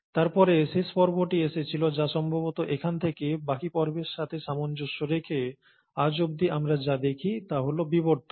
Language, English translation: Bengali, And then, comes the last phase which would probably correspond to the rest of the phase all the way from here till what we see present today, is the evolution